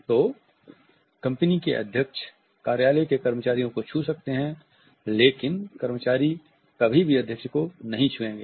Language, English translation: Hindi, So, the president of the company may touch the office employees, but the employees would never touch the president